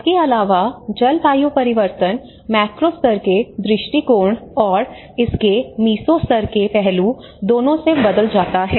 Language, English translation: Hindi, Also the climate change both from a macro level point of view and the meso level aspect of it